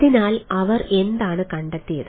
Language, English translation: Malayalam, so what they found out